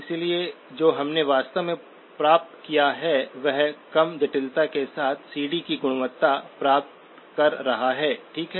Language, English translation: Hindi, So therefore, what we have actually ended up achieving is obtaining the CD quality with lower complexity, okay